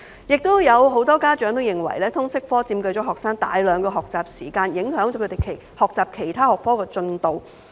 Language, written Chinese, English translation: Cantonese, 也有很多家長認為，通識科佔據學生大量學習時間，影響他們學習其他學科的進度。, Besides many parents believe that the LS subject has occupied so much of students study time that their learning progress in other subjects have been affected